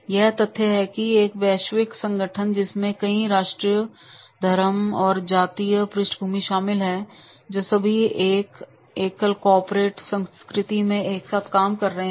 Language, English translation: Hindi, It is a fact it is a global organization comprised of many nationalities, religion and ethnic backgrounds all working together in one single unifying corporate culture